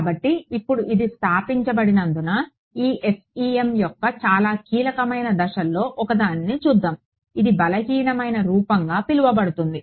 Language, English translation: Telugu, So, with now with this having being established let us look at one of the very key steps of this FEM which is converting to what is called a weak form